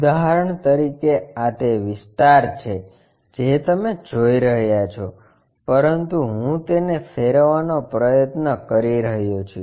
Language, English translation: Gujarati, For example, this is the area what you are seeing, but what I am trying to do is rotate it